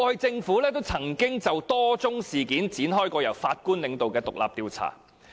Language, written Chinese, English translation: Cantonese, 政府過去也曾就多宗事件展開由法官領導的獨立調查。, Previously the Government had launched independent judge - led inquiries into a number of incidents